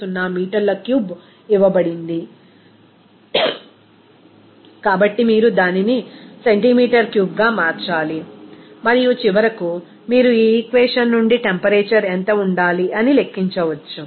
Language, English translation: Telugu, 150 meter cube, so, you have to convert it to centimeter cube and then finally, you can calculate that what should be the temperature from this equation